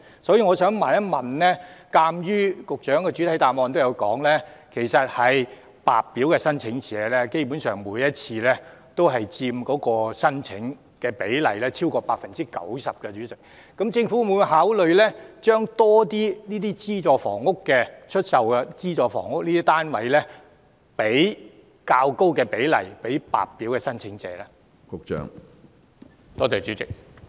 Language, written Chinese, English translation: Cantonese, 所以我想問，鑒於局長在主體答覆中指出，白表申請者基本上佔每次申請總數的超過 90%， 政府會否考慮將較高比例的資助出售房屋項目單位出售予白表申請者呢？, As such and given that the Secretary has pointed out in the main reply that among applicants of HOS flats basically over 90 % were White Form applicants I wish to ask whether the Government will consider selling a higher proportion of SSFs to this category of applicants